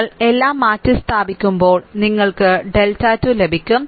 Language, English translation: Malayalam, All you replace that, then you will get the delta 2